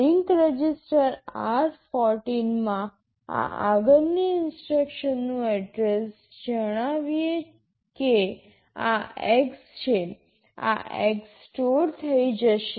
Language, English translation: Gujarati, In the link register r14, this next instruction address let us say this is X, this X will get stored